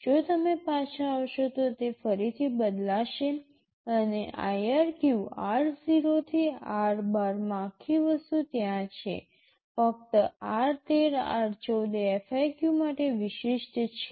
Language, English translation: Gujarati, If you come back, they will again change and in IRQ r0 to r12 the whole thing is there, only r13 r14 are specific to FIQ